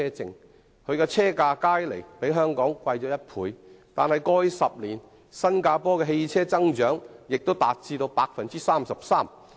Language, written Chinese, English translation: Cantonese, 雖然當地的車價加起來較香港貴1倍，但在過去10年，新加坡車輛數目的增長亦高達 33%。, Although this will make the total costs of buying a vehicle double that in Hong Kong the growth in the number of vehicles in Singapore in the past 10 years is still as high as 33 %